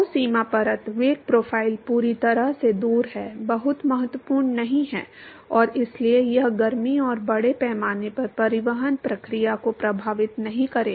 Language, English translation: Hindi, So, the boundary layer velocity profile is completely rid off, not very significant and therefore, it is not going to affect the heat and mass transport process